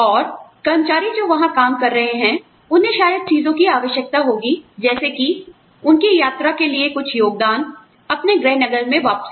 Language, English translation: Hindi, And, the employees, that are working there, would probably need things like, you know, some contribution towards their travel, back to their hometowns